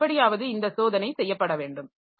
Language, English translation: Tamil, So, somehow this check has to be done